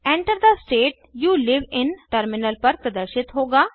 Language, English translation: Hindi, Enter the state you live in: will be displayed on the terminal